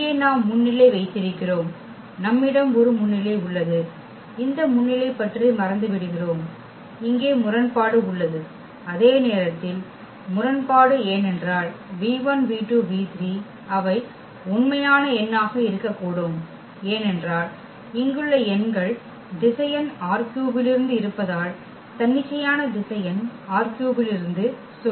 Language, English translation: Tamil, That here we have pivot here also we have a pivot and this forget about the pivot we have the inconsistency here, while inconsistency because this v 1 v 2 v 3 they these are they can be any real number because our vector here is from R 3 and say any arbitrary vector from R 3